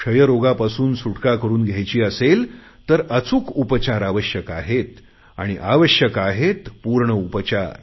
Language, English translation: Marathi, If we want to free ourselves and our country from TB, then we need correct treatment, we need complete treatment